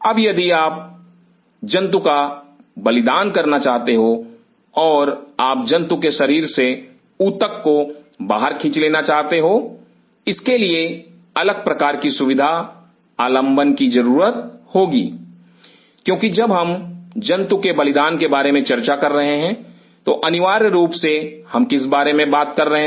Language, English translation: Hindi, Now, if you want to sacrifice the animal and you want to pull the tissue out of that animal that demands different kind of facility support, because when we are talking about sacrificing the animal what we are essentially talking about